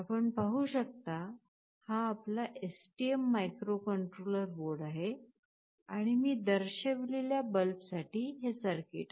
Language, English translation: Marathi, As you can see this is your STM microcontroller board and the circuit for the bulb that I have shown